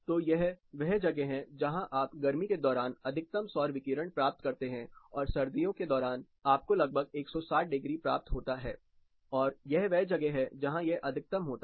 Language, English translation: Hindi, So, this is where you get maximum solar radiation during summer and during winter you get somewhere around 160 degrees and this is where the maximum occurs